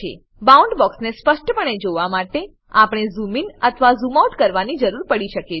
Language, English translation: Gujarati, To view the Boundbox clearly, we may have to zoom in or zoom out